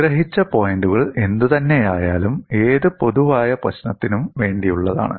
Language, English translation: Malayalam, But whatever the points that are summarized, it is for any generic problem situation